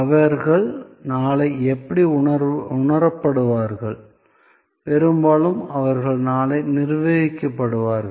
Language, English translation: Tamil, And therefore, how most likely they will be likely perceived tomorrow, most likely they will be manage tomorrow